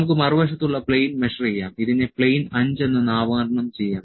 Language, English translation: Malayalam, So, let us measure the plane on the other side, this will be named as plane five